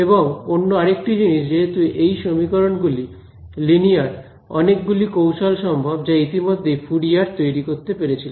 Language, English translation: Bengali, The other thing is that these equations being linear there is a large set of techniques which have already been built by Fourier right